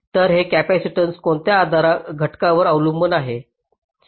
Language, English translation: Marathi, so on what factor does this capacitance depend